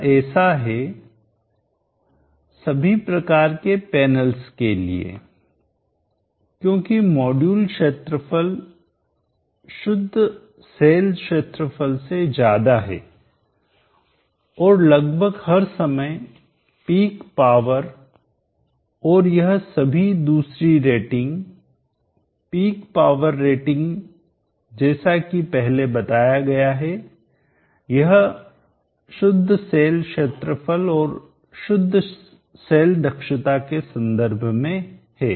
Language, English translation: Hindi, 66% it is so in all types of panels because the module area is higher than the fuel cell area and most of the time the peak power and all these other rating the power rating as mentioned earlier here or with respect to the Pure cell area and pure cell efficiency